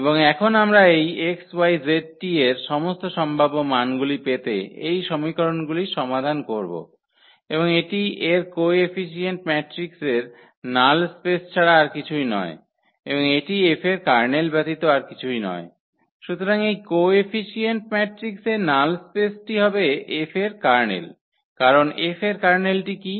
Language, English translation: Bengali, And we want to now solve these equations to get all possible values of these x, y, z and t and this is nothing but the null space of the coefficient matrix of the coefficient matrix of this of this system of equations and that is nothing but the Kernel of F